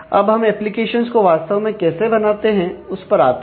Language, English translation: Hindi, Now, coming to how do you actually develop applications